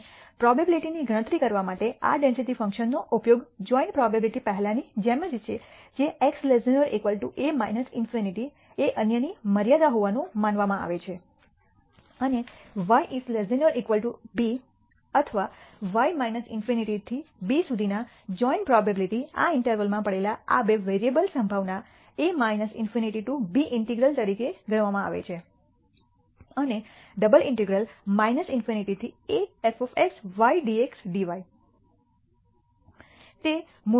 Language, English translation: Gujarati, And the way this density function is used to compute the probability is as before the joint probability that x is less than or equal to a minus in nity being the other assumed to be the other limit and y less than or equal to b or y ranging from minus infinity to b, the joint probability of these two variables lying in these intervals is denoted as computed as the integral minus infinity to b and double integral minus infinity to a f of x y dx dy